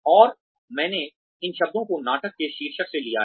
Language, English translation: Hindi, And, I have taken these words, from the title of the play